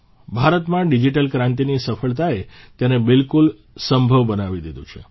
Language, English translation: Gujarati, The success of the digital revolution in India has made this absolutely possible